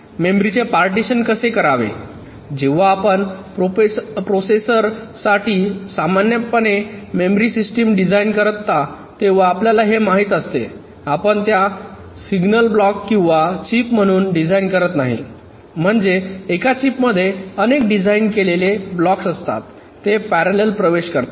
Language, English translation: Marathi, see, you know, whenever you design the memory system for a processor, normally you do not design it as a single block or a chip means mean even within a chip there are multiple blocks which are designed